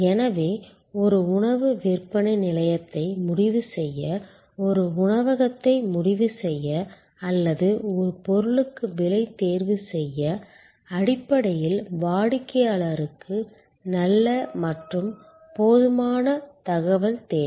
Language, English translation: Tamil, So, to decide on a food outlet, to decide on a restaurant or to choose a price for a commodity, fundamentally the customer needs good and enough sufficient information